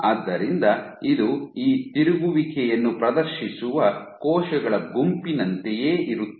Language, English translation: Kannada, So, it is almost like a group of cells they exhibit this rotation